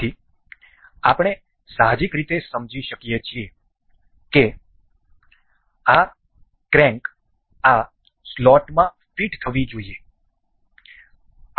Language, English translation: Gujarati, So, we can intuitively understand that this crank is supposed to be fit in this slot